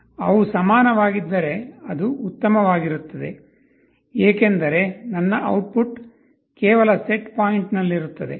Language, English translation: Kannada, If they are equal it is fine, as my output is just at the set point